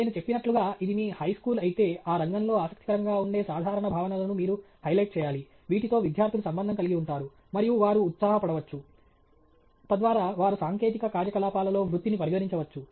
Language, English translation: Telugu, As I mentioned, if it is your high school, then you need to highlight those general concepts that are interesting in that field which students can relate to, and which they can be enthused by, so that they may also consider a career in technical activities okay